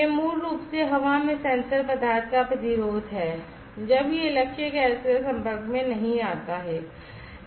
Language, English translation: Hindi, This is basically the resistance of the sensor material in air when it is not exposed to the target gas